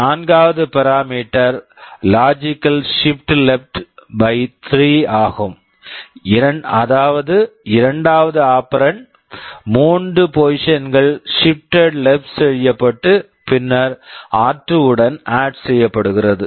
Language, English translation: Tamil, In the fourth parameter you say logical shift left by 3; that means the second operand is shifted left by three positions and then added to r2